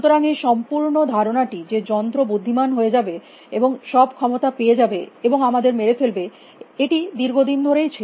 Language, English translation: Bengali, So, that whole idea, that this machine would becomes smart and you know whole power us and kill us have always been around for a long time